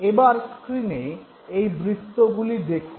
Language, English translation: Bengali, Now look at this very circle on the screen